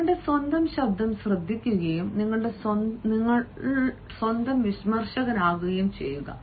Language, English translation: Malayalam, listen to your own voice and be your own critic